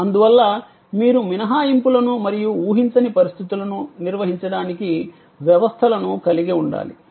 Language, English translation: Telugu, And therefore, you have to have systems to handle exceptions as well as unforeseen circumstances